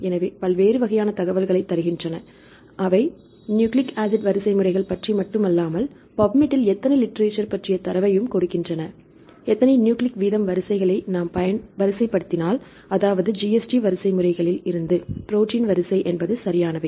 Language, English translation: Tamil, So, they give you different types of information, not only the nucleic acid sequences they give the data about the how many literature in the Pubmed, right if order the how many nucleic rate sequences, I mean GST sequences right to protein sequence and so on